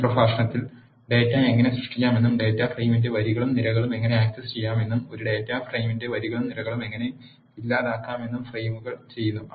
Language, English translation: Malayalam, In this lecture we have seen how to create data, frames how to access rows and columns of data frame and how to delete rows and columns of a data frame and so on